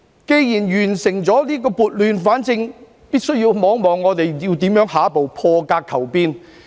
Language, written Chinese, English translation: Cantonese, 既然完成撥亂反正，便要看看如何在下一步破格求變。, After bringing order out of chaos we should explore how to break the stalemate and seek changes in the following move